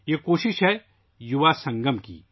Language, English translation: Urdu, This is the effort of the Yuva Sangam